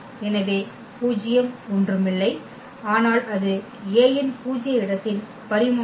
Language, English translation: Tamil, So, nullity is nothing, but its a dimension of the null space of A